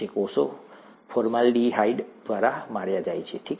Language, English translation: Gujarati, The cells are killed by formaldehyde, okay